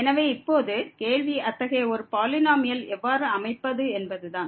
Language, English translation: Tamil, So, now the question is how to construct such a polynomial